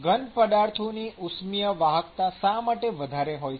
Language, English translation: Gujarati, Why solid thermal conductivity of solids is high